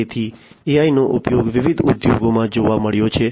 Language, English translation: Gujarati, So, AI has found use in different industries